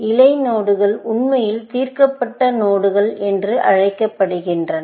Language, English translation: Tamil, So, the leaf nodes in the tree would be solved nodes